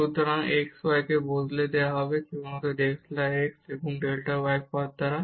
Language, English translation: Bengali, So, this x y will be replaced simply by delta x and delta y terms